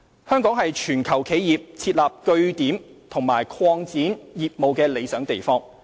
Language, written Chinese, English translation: Cantonese, 香港是全球企業設立據點和擴展業務的理想地方。, Hong Kong is an ideal place for enterprises from around the world to set up or expand business operations